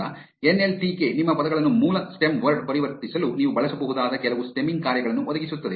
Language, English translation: Kannada, Now, NLTK provides some stemming functions which you can use to convert your words into the base stem word